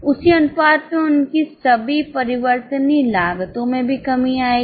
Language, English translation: Hindi, So their variable cost will also reduce in the same proportion